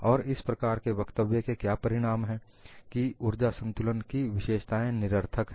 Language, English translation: Hindi, And what is the consequence of this kind of a statement is that specification of energy balance is redundant